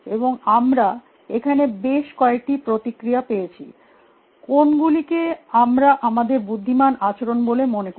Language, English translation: Bengali, And, we got several responses here; what we think is intelligent behavior